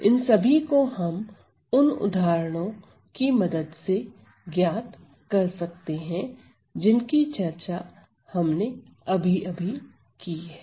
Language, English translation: Hindi, So, this can all be found out by the method just described and by the examples just described